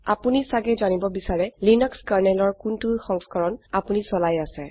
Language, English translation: Assamese, You may want to know what version of Linux Kernel you are running